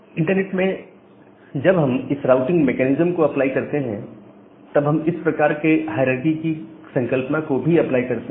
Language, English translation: Hindi, And whenever we apply this routing mechanism over the internet we also apply this kind of hierarchical concept